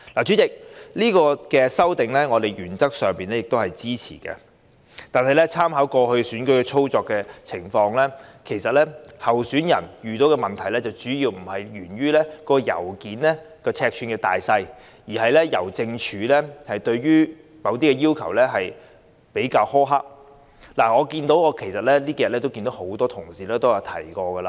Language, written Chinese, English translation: Cantonese, 主席，我們原則上支持這項修訂，但參考過去選舉實際操作的情況，候選人遇到的問題並非信件尺寸大小，而是香港郵政對某些要求比較苛刻，這兩天亦有不少同事提過這點。, President we support this amendment in principle . Yet we have learnt from the past election experience that it was the rigidity of Hongkong Post rather than the size of letters that troubled the candidates . Many Honourable colleagues have touched on this point on these two days